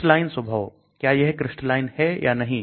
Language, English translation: Hindi, Crystalline nature, whether it is crystalline or not